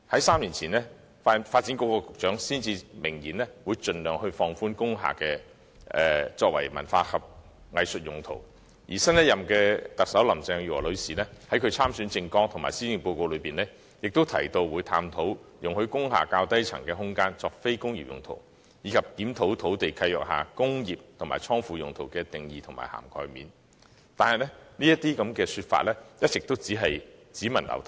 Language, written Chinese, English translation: Cantonese, 三年前，時任發展局局長明言會盡量放寬工廈作文化藝術用途；新任特首林鄭月娥女士在其參選政綱及施政報告中，亦提到會探討容許工廈較低層空間作非工業用途，以及檢討土地契約下"工業"和"倉庫"用途的定義和涵蓋面，但有關說法卻一直只聞樓梯響。, Three years ago the then Secretary for Development expressly stated that the restrictions on the uses of industrial buildings would be relaxed where practicable for cultural and arts uses . The new Chief Executive Carrie LAM has also mentioned in her election platform and Policy Address her plan to study the feasibility of allowing the lower floors of industrial buildings to be used for non - industrial purposes and reviewing the definition and coverage of industrial uses and warehouse in land leases but all these have so far been empty talks only